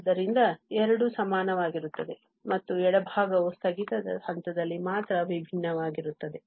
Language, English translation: Kannada, So, both are equal and this left hand side differ only at the point of discontinuity